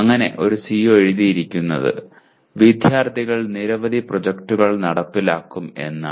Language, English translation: Malayalam, So one CO written was students will execute many projects